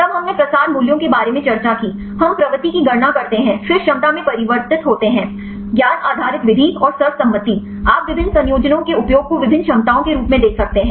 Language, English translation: Hindi, Then we discussed about the propensity values, we calculate the propensity then convert into potentials; knowledge based method and the consensus, you can see the use of various combination different potentials